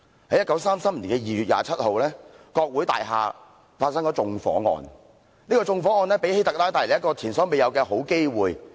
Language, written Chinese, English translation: Cantonese, 在1933年2月27日，國會大廈發生縱火案，這宗縱火案為希特拉帶來前所未有的好機會。, On 27 February 1933 an arson attack took place at the Parliament building giving HITLER the best chance ever